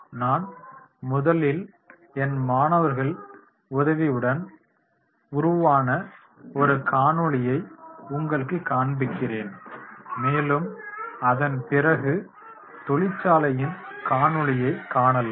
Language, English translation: Tamil, Now here I would like to show a video which we have developed with the help of the students in the classroom and then we can go for that particular company video